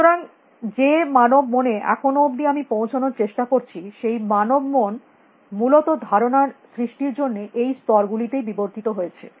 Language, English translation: Bengali, So, the human mind as far I am trying to get at; the human mind has evolved to create concepts at these scales essentially